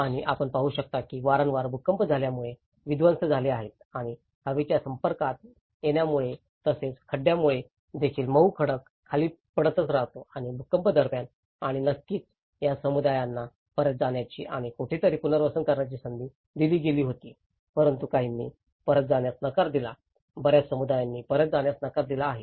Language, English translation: Marathi, And you can see that destructions have happened because of the frequent earthquakes and also the erosion due to the exposure to the air and also the rocks, the soft rock keeps falling down and a lot of destruction over there and during the earthquakes and of course, these communities were given an opportunity to go back and resettle in someplace but some have they denied going back, many of the communities they denied going back